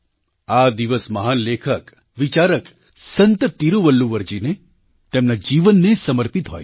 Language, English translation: Gujarati, This day is dedicated to the great writerphilosophersaint Tiruvalluvar and his life